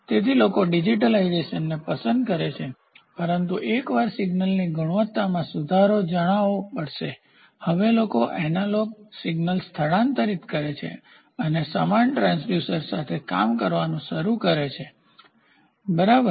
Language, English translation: Gujarati, So, people prefer digitisation, but once the quality of the of the signal has to know improve; now people transfer analog signal and start working with the analogous transducer, ok